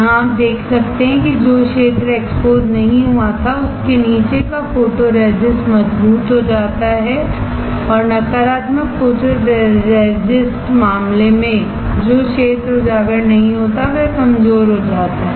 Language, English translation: Hindi, Here you can see that the photoresist under the area which was not exposed becomes stronger and in the negative photoresist case the area not exposed becomes weaker